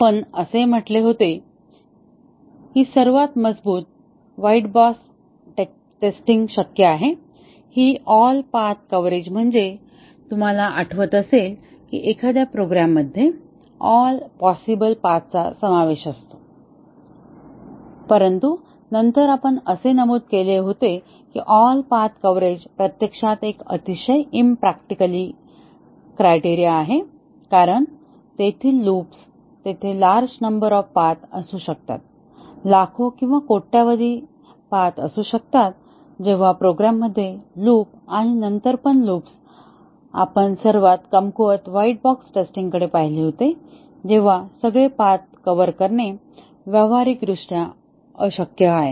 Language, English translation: Marathi, We had said that the strongest white box testing possible is all path coverage and all path coverage as you might remember is covering all possible paths in a program, but then we had remarked that all path coverage is actually a very impractical criterion because in presence of loops, there can be very large number of paths, millions or billions of paths may be there and it is practically impossible to achieve all path coverage in the presence of when the program as loops and then, we had looked at the weakest white box testing technique which is the statement coverage and then, we had looked at the branch or decision coverage which is a stronger technique than statement coverage